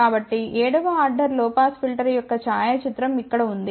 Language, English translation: Telugu, So, here is a photograph of the 7th order low pass filter